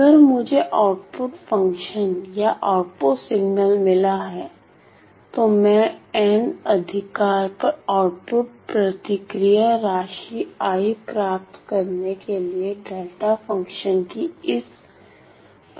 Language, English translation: Hindi, So, if I were to get the output function or the output signal, I use this property of delta function to get the output response I sum I over all n right